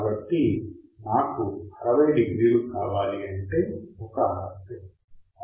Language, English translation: Telugu, So, if I want one RC is 60 degrees